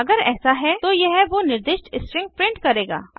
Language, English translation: Hindi, If it is, it will print out the specified string